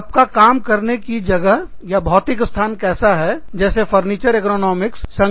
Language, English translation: Hindi, What is your physical space, like your furniture, ergonomics